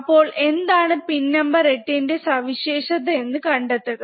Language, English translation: Malayalam, So, find it out what is the role of pin number 8, alright